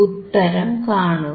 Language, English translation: Malayalam, Let us see